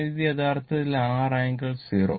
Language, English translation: Malayalam, So, this is actually R angle 0